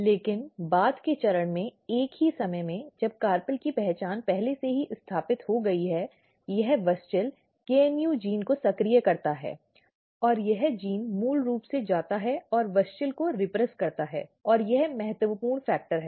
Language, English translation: Hindi, But at the same time at the later stage when the identity of carpel is already established this WUSCHEL activate gene called KNU and this gene basically goes and repress the WUSCHEL and this is important factor